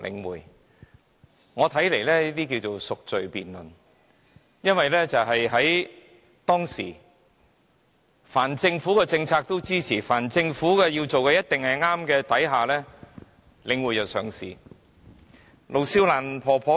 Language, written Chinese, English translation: Cantonese, 依我看來，這些是贖罪辯論，因為當時凡是政府的政策，他們也支持，又認為凡是政府做的，也一定是對的，令領匯得以上市。, In my opinion they are seeking redemption by means of this debate because they not only supported every government policy back then but they also considered everything done by the Government correct thus enabling Link REIT to be listed